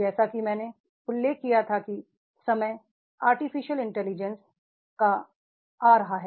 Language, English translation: Hindi, As I mentioned, that is the time is coming of the AI artificial intelligence